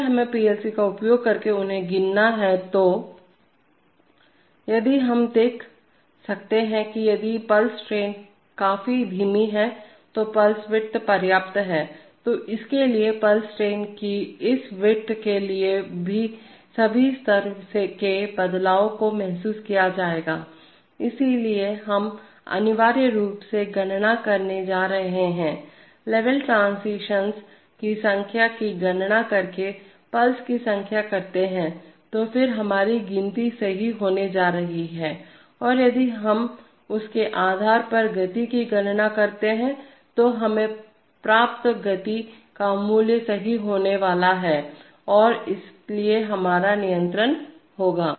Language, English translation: Hindi, If we have to count them using the PLC itself then, if the, we can see that if the pulse trains are slow enough, there is a pulse width are sufficient then for this, for this width of the pulse train all the level changes will be sensed, so we are essentially going to count, the number of pulses by counting the number of level transitions, so then our count is going to be correct and if we compute the speed based on that, the value of speed we get is going to be correct and so will be our control